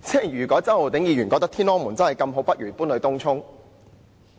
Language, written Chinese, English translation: Cantonese, 如果周浩鼎議員覺得"天安門"真的這麼好，不如搬到東涌吧。, If Mr CHOW really thinks that the Tiananmen Square is so great maybe it should be moved to Tung Chung